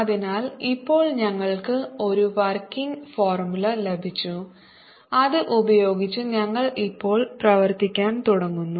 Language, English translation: Malayalam, so now we got an working formula with which we now start working